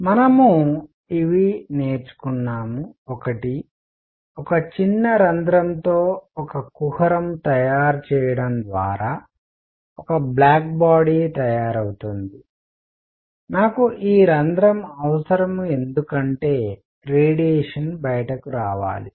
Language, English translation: Telugu, So we have learnt: 1, a black body is made by making a cavity with a small hole in it, I need this hole because the radiation should be coming out